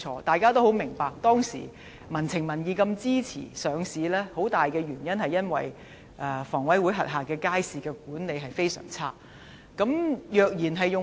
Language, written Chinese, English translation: Cantonese, 大家也十分明白，當時的民情民意這麼支持領匯上市，當中最重要的原因是香港房屋委員會轄下的街市的管理十分差。, We all understand that public opinions supported the listing of The Link REIT back then and the most important reason for such support was the poor management of markets under the Hong Kong Housing Authority